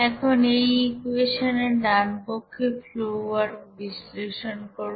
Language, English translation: Bengali, Now to analyze that right hand side of this you know equation, this flow work